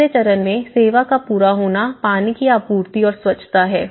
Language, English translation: Hindi, On the stage 3, the service completion of it, the water supply and sanitation